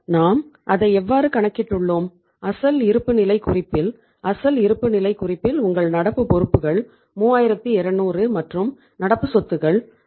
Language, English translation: Tamil, How we have calculated it is that is the say the balance sheet original balance sheet here we have seen in the original balance sheet your current liabilities are 3200 and current assets are 5400